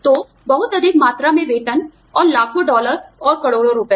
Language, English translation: Hindi, So, you know, exorbitant amounts of salaries, and millions of dollars, or crores of rupees